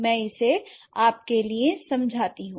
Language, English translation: Hindi, So, let me explain it for you